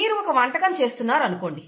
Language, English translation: Telugu, Suppose you are making a dish, cooking a dish, okay